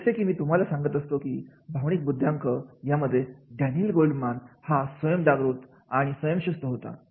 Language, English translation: Marathi, Like I was talking about the emotional intelligence, Daniel Goldman, that is a self awareness and self regulation